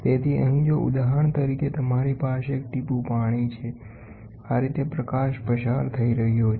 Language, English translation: Gujarati, So, here if for example, you have a droplet of water, this is how the light is passing